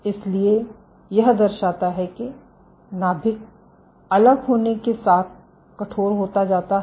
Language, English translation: Hindi, So, this demonstrates that the nucleus stiffens as it differentiates